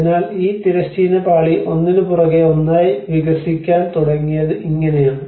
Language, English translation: Malayalam, So, this is how this horizontal layer started developing one over the another